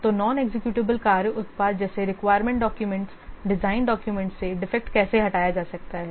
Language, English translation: Hindi, So, how can the defects from the non executable work products such as requirement documents, design documents be removed